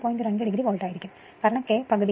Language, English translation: Malayalam, 2 degree Volt because yourK is equal to your half right